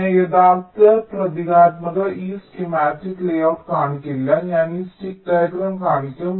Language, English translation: Malayalam, i shall not be showing the actual symbolic, this schematic layout